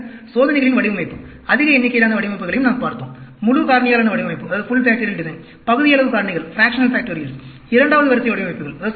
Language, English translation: Tamil, Then, we also looked at design of experiments, large number of designs; the full factorial design, fractional factorials, 2nd order designs